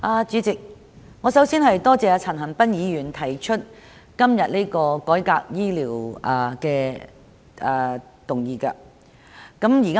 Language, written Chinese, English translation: Cantonese, 主席，我首先感謝陳恒鑌議員今天提出這項有關醫療改革的議案。, President I would first of all like to thank Mr CHAN Han - pan for moving this motion on healthcare reform today